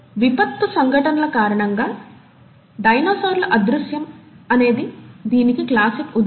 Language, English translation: Telugu, And then the classic example has been the disappearance of dinosaurs because of catastrophic events